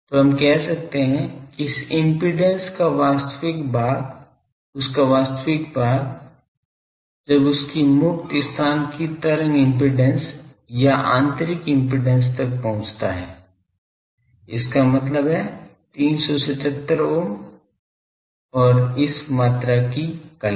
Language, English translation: Hindi, So, we say that real part of this real part of this impedance quantity, real part of that when that approaches the wave impedance or intrinsic impedance of free space; that means, 377 ohm and the phase of this quantity